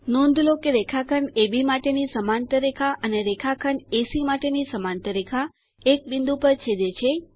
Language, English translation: Gujarati, Notice that the parallel line to segment AB and parallel line to segment AC intersect at a point